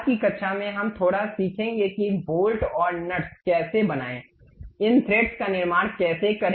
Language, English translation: Hindi, In today's class, we will learn little bit about how to make bolts and nuts, how to construct these threads